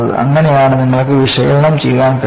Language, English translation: Malayalam, That is the way you can analyze it to start with